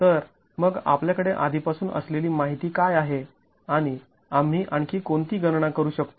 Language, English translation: Marathi, So, what is the information that we already have on hand and what further calculations can we make